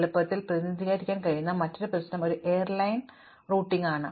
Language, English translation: Malayalam, So, another problem that we have seen which is easily representable as a graph is that of an airline routing